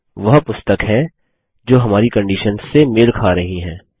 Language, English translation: Hindi, There, these are the books that met our conditions